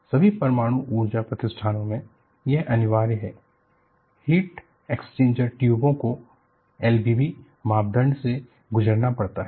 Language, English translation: Hindi, In all nuclear power installations, it is mandatory; the heat exchanger tubes have to go through L V B criteria